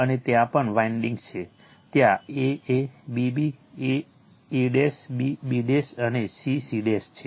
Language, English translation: Gujarati, And everywhere that windings are there that a a b b a a dash b b dash and c c dash